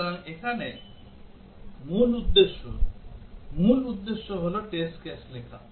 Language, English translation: Bengali, So, here the main motive, the main objective is to write test cases